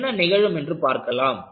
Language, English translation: Tamil, We will see what happens